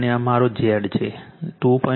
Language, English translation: Gujarati, And this is my Z 2